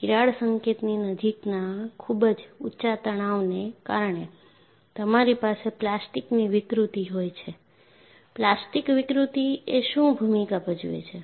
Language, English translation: Gujarati, Because of very high stresses near the vicinity of the crack tip, you will have plastic deformation; and what is the role of plastic deformation